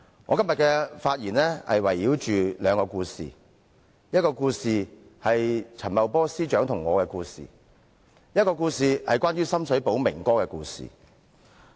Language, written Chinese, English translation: Cantonese, 我今天的發言會圍繞兩個故事，第一個故事是陳茂波司長和我的故事，另一個則是有關深水埗"明哥"的故事。, My speech today will centre around two stories . The first one is a story between Secretary Paul CHAN and me while the other one is about Brother Ming in Sham Shui Po